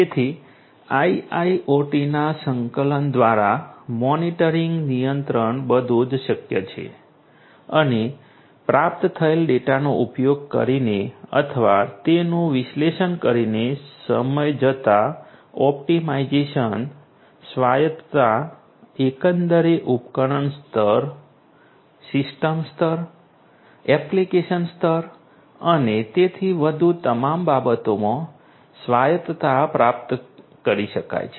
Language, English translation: Gujarati, So, monitoring, control these are all possible through the integration of IIoT and optimization over time using or analyzing the data that is received autonomy overall can be achieved autonomy in all respects device level, system level, application level and so on